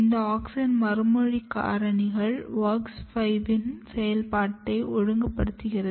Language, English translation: Tamil, And these auxin response factors are regulating the activity of WOX5